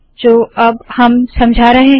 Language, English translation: Hindi, As we explain now